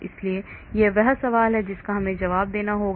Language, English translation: Hindi, so that is the question we need to answer